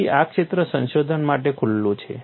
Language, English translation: Gujarati, So, this area is open for research